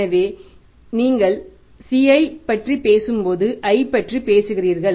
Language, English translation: Tamil, So, then you talk about the C and then you talk about the say I